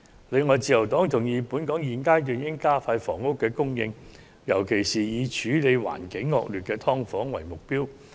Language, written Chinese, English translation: Cantonese, 此外，自由黨同意本港在現階段應加快供應房屋的步伐，尤其是以處理環境惡劣的"劏房"為目標。, Besides the Liberal Party agrees that Hong Kong should speed up the pace of housing supply and set the target of tackling the problem of sub - divided units in particular which have a very poor living environment